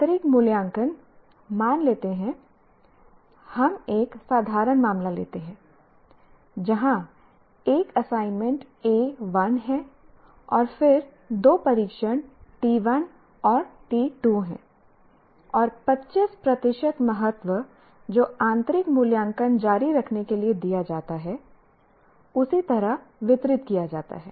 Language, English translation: Hindi, Now coming to internal evaluation, let us assume we take a simple case where there is one assignment, A1, and then there are two tests, T1 and T2, and the 25 percentage weightage that is given to continuous internal evaluation is distributed like that